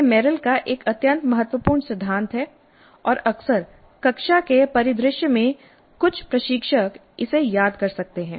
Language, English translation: Hindi, This is an extremely important principle of Merrill and quite often in the classroom scenario some of the instructors may be missing it